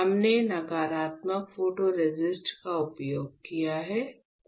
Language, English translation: Hindi, We have used negative photoresist